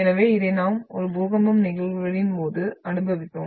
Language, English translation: Tamil, So this we experienced at the time of the phenomena which we termed as an earthquakes